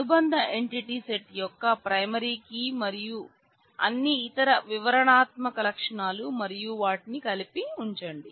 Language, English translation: Telugu, The primary key of the associated entity set and all the other descriptive attributes and put them together